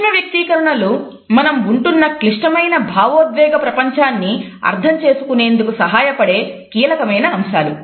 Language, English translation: Telugu, Micro expressions are key to understanding the complex emotional world we live in